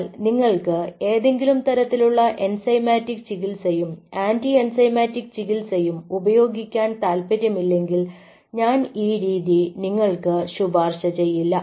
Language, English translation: Malayalam, but if you are a novice and if you are not very keen to use a, any kind of enzymatic treatment and anti enzymatic treatment to stop that reaction, i will not recommend you this